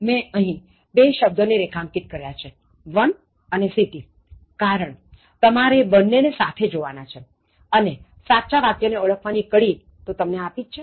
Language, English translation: Gujarati, I have underlined two sets of words, one of as well as city, because you have to see them together and then enough clue I have given for you to identify the correct one